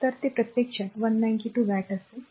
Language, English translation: Marathi, So, it will be actually 192 watt right